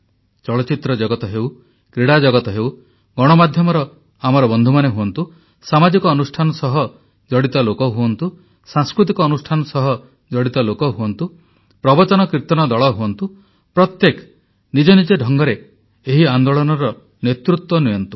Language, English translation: Odia, Whether it be from the world of films, sports, our friends in the media, people belonging to social organizations, people associated with cultural organizations or people involved in conducting devotional congregations such as Katha Kirtan, everyone should lead this movement in their own fashion